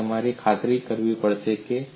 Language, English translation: Gujarati, So that has to be ensured